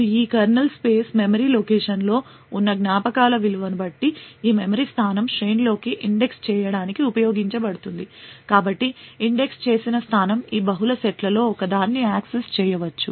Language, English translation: Telugu, Now depending on the value of the memories present in this kernel space memory location since this memory location is used to index into the array the indexed location may access one of these multiple sets